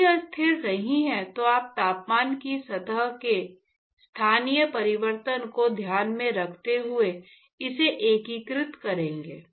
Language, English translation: Hindi, If it is not constant, then you would have be integrate it taking up taking into account the locational change of the temperature surface temperature